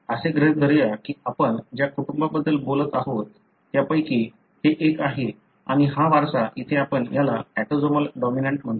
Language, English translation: Marathi, Let’s assume that this is one of the families that you are talking about and this inheritance here you call it as autosomal dominant